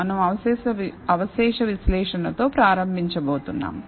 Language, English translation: Telugu, We are going to start with the residual analysis